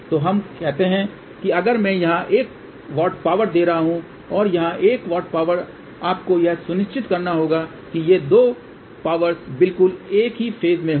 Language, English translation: Hindi, So, let us say if I am giving a 1 watt power here and a 1 watt power here, you have to ensure that these 2 powers are exactly at the same phase